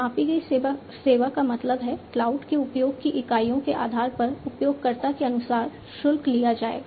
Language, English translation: Hindi, Measured service means like you know based on the units of usage of cloud, the user is going to be charged accordingly